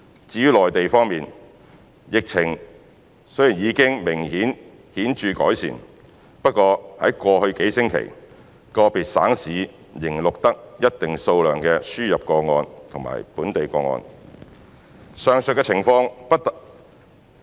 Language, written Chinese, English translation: Cantonese, 至於內地方面，疫情雖然已經顯著改善，不過在過去數星期，個別省市仍錄得一定數量的輸入個案及本地個案。, As regards the Mainland despite significant improvements in the situation individual provincescities still reported certain number of imported and local cases in the past few weeks